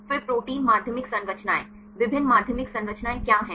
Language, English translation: Hindi, Then protein secondary structures, what are different secondary structures